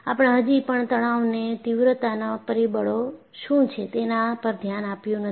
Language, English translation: Gujarati, You have still not looked at what are stress intensity factors